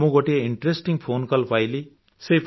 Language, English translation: Odia, I have received a very interesting phone call